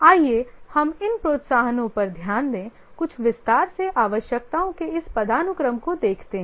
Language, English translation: Hindi, Let's look at these incentives or sorry, this hierarchy of needs in some detail